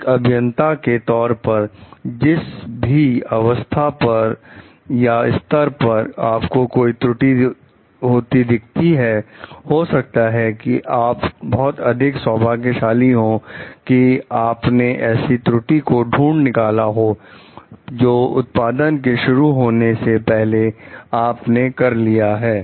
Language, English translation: Hindi, As a engineer at whatever stage you find any fault is happening maybe it is you are much lucky like this has you are able to detect it as a part of before its started for production